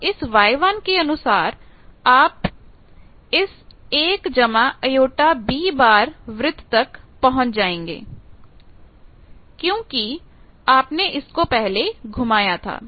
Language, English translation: Hindi, So, corresponding to Y 1 and you will automatically reach 1 plus J B circle that is why you have rotated earlier